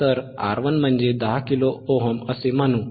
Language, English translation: Marathi, So, let us say R 1 is 10 kilo ohm